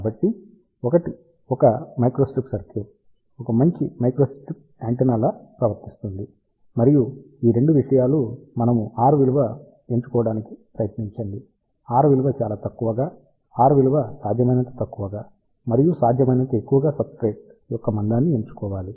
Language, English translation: Telugu, So, that a microstrip circuit behaves a better microstrip antenna and these 2 things are we should try to choose epsilon r value, as small, as possible and we should choose the thickness of the substrate as high as possible